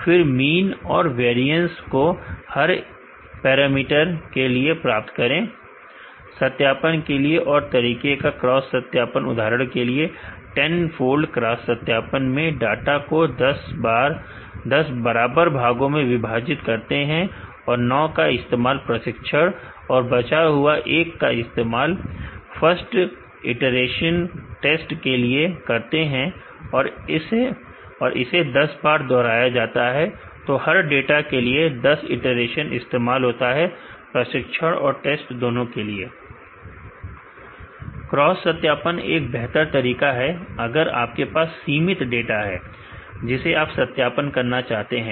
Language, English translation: Hindi, And get the mean and variance of the each parameter, the other way of validation is a cross validation for example, in a tenfold cross validation the data is split into 10 equal parts and 9 is used for training and remaining one is used for test in first iteration and, this is repeated 10 times so, we from the 10 iteration every data will be used as training and also test